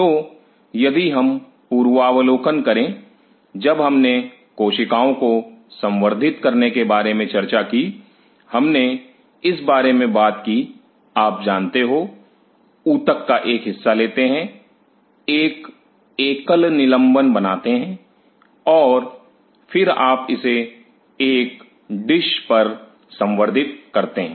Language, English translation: Hindi, So, if we recap, when we talked about culturing the cells, we talked about you know take a part of the tissue make a single suspension and then you culture it on a dish